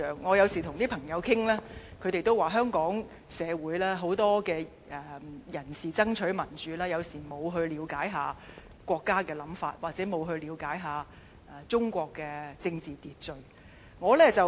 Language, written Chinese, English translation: Cantonese, 我有時跟朋友討論，他們也表示，香港社會很多人士爭取民主時，沒有了解國家的想法，又或沒有了解中國的政治秩序。, When I discuss this occasionally with my friends they also believe that many people in Hong Kong neither fail to understand the nations way of thinking nor learn about politics in China when they fight for democracy